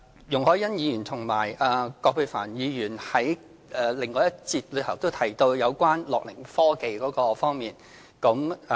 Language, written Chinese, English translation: Cantonese, 容海恩議員和葛珮帆議員在另外一個辯論環節也提到樂齡科技這方面。, Ms YUNG Hoi - yan and Dr Elizabeth QUAT have also mentioned gerontechnology in another debate session